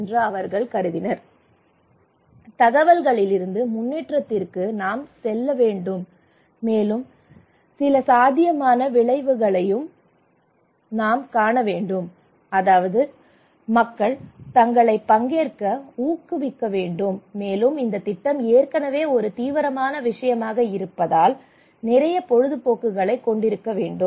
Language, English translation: Tamil, So we need to move from information to improvement and we need to also see some feasible outcome, that is why people can motivate themselves to participate, and the exercise should be a lot of fun it is already a serious matter